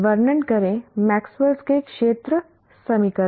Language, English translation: Hindi, State Maxwell's field equations